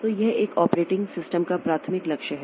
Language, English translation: Hindi, So, this is the primary goal of an operating system